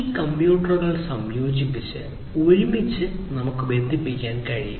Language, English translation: Malayalam, And these can these computers can be integrated together; they can be connected together